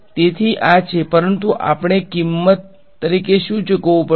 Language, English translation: Gujarati, So, this is, but what have we have to pay as a price